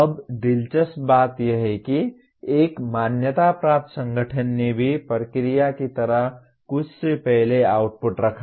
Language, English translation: Hindi, Now interestingly even an accrediting organization put something like the process before the output